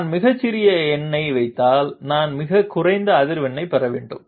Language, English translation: Tamil, If I put the smallest number I should get the lowest frequency